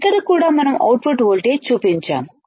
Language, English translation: Telugu, Here also we have shown the output voltage